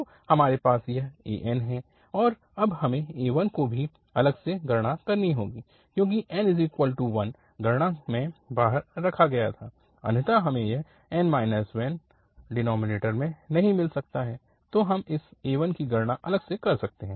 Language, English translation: Hindi, So, we have this an and then we have to also compute this a1 because this was, the n equal to 1 was excluded in the computation, otherwise we cannot have this n minus 1 in the denominator